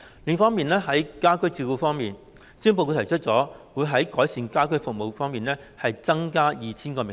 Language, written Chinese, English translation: Cantonese, 另外，在家居照顧方面，施政報告提出了會在改善家居服務方面增加 2,000 個名額。, Moreover in respect of home care the Policy Address has proposed an increase of 2 000 places to improve home services